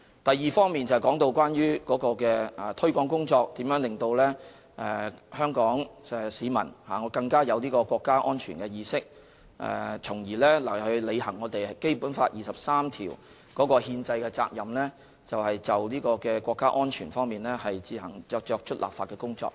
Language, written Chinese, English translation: Cantonese, 第二部分，就是提到有關推廣工作如何可以令香港市民更有國家安全意識，從而履行《基本法》第二十三條的憲政責任，就國家安全自行作出立法工作。, Part 2 of the question is about how the promotion work concerned can enhance the awareness of Hong Kong people to safeguard national security with a view to carrying out the constitutional responsibility enshrined in Article 23 of the Basic Law by enacting legislation to safeguard our national security